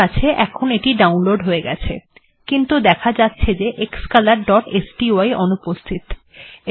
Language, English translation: Bengali, Alright, it downloaded that and now it says that xcolor.sty is missing